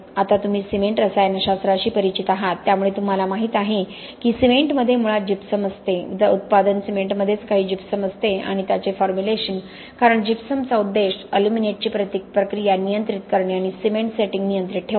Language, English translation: Marathi, Now you are familiar with cement chemistry, so you know that cement originally has gypsum okay, the product cement itself has some gypsum in it and its formulation because gypsum is intended to control the reaction of the aluminates and bring about a controlled setting of the cement, okay